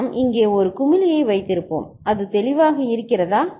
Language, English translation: Tamil, Then we would have put a bubble over here is it clear